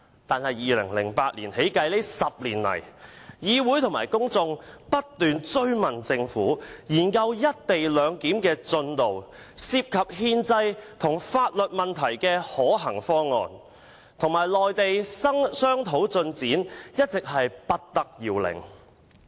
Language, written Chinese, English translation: Cantonese, 但是，由2008年起至今這10年來，議會和公眾不斷追問政府研究"一地兩檢"的進度、有關憲制和法律問題的可行方案，以及與內地商討的進展，一直不得要領。, However in the 10 years since 2008 the Council and the public have been asking the Government about the progress of the study on the co - location arrangement the feasible solutions to the constitutional and legal issues as well as the negotiation with the Mainland but to no avail